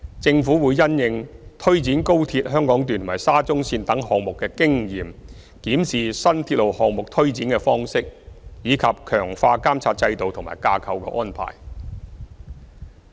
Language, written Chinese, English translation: Cantonese, 政府會因應推展高鐵香港段和沙中線等項目的經驗，檢視新鐵路項目推展的方式，以及強化監察制度和架構安排。, The Government will review the implementation of new railway projects and strengthen the monitoring system and institutional arrangements taking into account the experience of the implementation of such projects as XRL Hong Kong Section and SCL